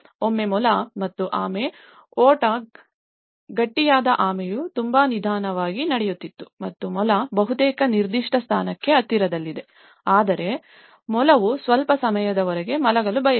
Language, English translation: Kannada, Once the hare and tortoise kept a race; a mild race and hard tortoise was walking down very slowly and then it has just walking very slowly and the hare almost about to reach and she thought okay, I will sleep for some time